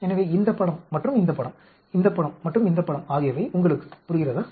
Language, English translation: Tamil, So, do you understand this picture, and picture, this picture and this picture